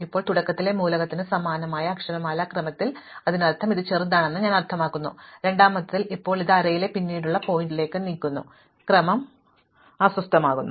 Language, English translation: Malayalam, Now, if the element at the beginning had the same alphabetical order as, I mean it is smaller with, in the second one now it moves to a later point in the array and the order gets disturbed